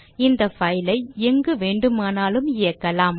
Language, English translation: Tamil, This file can run anywhere